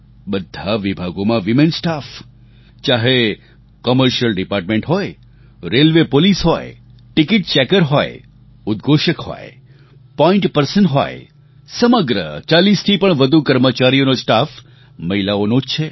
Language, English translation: Gujarati, All departments have women performing duties… the commercial department, Railway Police, Ticket checking, Announcing, Point persons, it's a staff comprising over 40 women